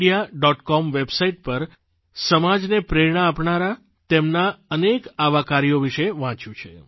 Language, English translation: Gujarati, com website, I have read about many of his endeavours that serve as an inspiration to society